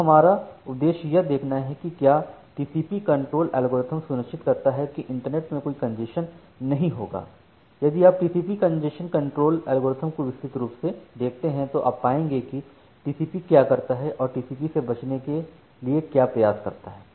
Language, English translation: Hindi, So, our objective is to see that whether this TCP congestion control algorithm ensures that there will be no congestion in the internet unfortunately this if you look into the TCP congestion control algorithm in details what TCP does TCP tries to avoid congestion